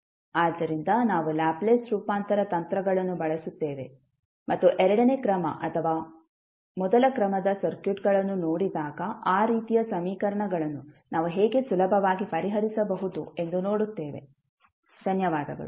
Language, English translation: Kannada, So, we will use the Laplace transform techniques and see how we can easily solve those kind of equations, when we see the second order or first order circuits, thank you